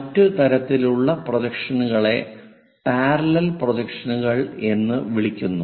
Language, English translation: Malayalam, The other kind of projections are called parallel projections